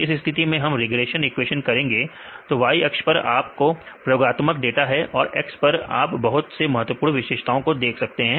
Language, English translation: Hindi, So, in this case; we can do the regressions equations; so, the Y axis you can say this is your experimental data and the X axis you can see the various important features